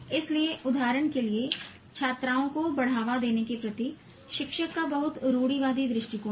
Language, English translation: Hindi, So the teacher has a very conservative outlook towards promoting girls students, for example